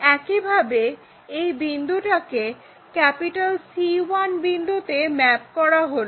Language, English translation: Bengali, Similarly, this point all the way mapped to this C 1